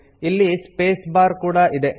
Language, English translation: Kannada, It also contains the space bar